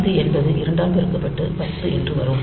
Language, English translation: Tamil, So, it is 6 multiplied by 2 12